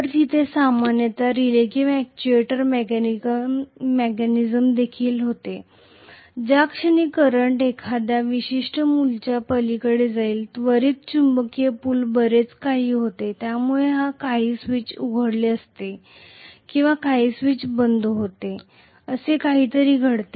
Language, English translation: Marathi, So what happens there is also generally a relay or actuator mechanism, the moment the current goes beyond a particular value immediately the magnetic pull becomes quite a lot because of which some switch is opened or some switch is closed, that is what happens